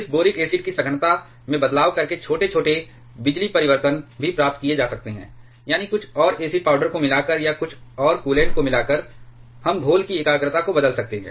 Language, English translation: Hindi, Small power changes can also be achieved by changing the concentration of this boric acid, that is by adding some further acid powder or by adding some further coolant we can change the concentration of the solution